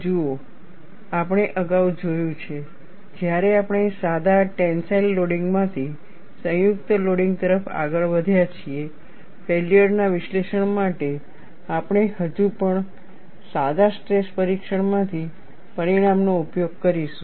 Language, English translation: Gujarati, See, we have seen earlier, when we moved from simple tensile loading to combined loading for failure analysis, we will still use the result from a simple tension test, and used it for combined loading in our conventional design approaches